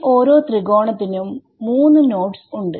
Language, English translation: Malayalam, Each of these triangles has three nodes and there will be some local numbers